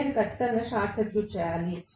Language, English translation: Telugu, I have to short circuit it definitely